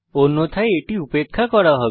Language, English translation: Bengali, Else it will be ignored